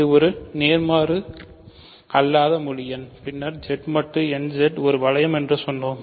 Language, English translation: Tamil, So, it is a non negative integer then we said Z mod n Z is a ring right